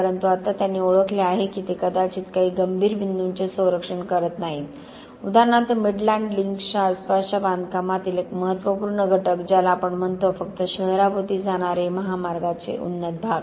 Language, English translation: Marathi, But now they recognized that they may not be protecting some critical points, for example one of the critical elements in the construction around the Midland Links as we call it, just the elevated sections of the highway that goes around the city